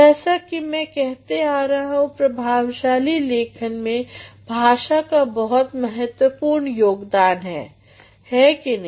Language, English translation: Hindi, As I have been saying that language plays a very vital role in making you write effectively, isn’t it